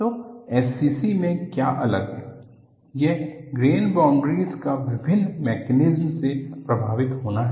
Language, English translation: Hindi, So, what is distinct in SCC is, grain boundaries are affected by various mechanisms